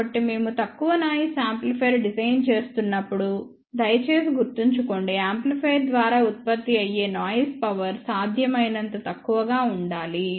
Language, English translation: Telugu, So, please remember when we are designing a low noise amplifier, we have to really be very very sure that the noise power generated by the amplifier should be as small as possible